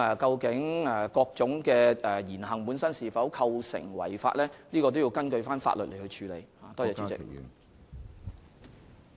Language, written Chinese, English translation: Cantonese, 至於某種言行本身會否構成違法，必須根據法律作出裁斷。, Whether certain speeches or actions are unlawful must be determined in accordance with the law